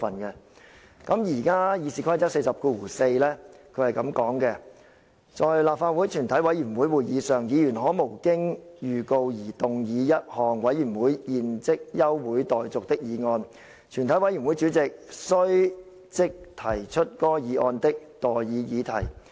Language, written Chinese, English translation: Cantonese, 現時《議事規則》第404條訂明："在立法會全體委員會會議上，議員可無經預告而動議一項委員會現即休會待續的議案，全體委員會主席須即提出該議案的待議議題。, The existing Rule 404 of the Rules of Procedure provides that When the Council is in committee a Member may move without notice that further proceedings of the committee be now adjourned . Thereupon the Chairman shall propose the question on that motion